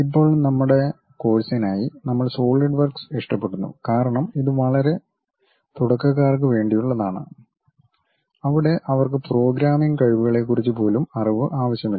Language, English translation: Malayalam, Now, for our course we prefer Solidworks uh because this is meant for very beginners where they do not even require any little bit about programming skills, ok